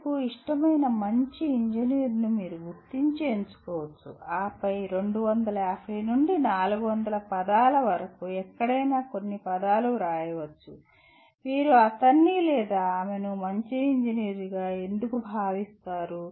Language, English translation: Telugu, You can identify and select your favorite good engineer and then write a few words anywhere from 250 to 400 words why do you consider him or her a good engineer